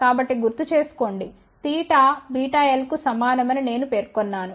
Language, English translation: Telugu, So, just recall I had mentioned that theta is equal to beta times l